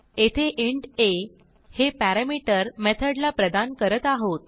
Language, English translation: Marathi, Here we are giving int a as a parameter to our method